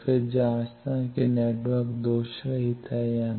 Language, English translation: Hindi, Then the checking of whether network is lossless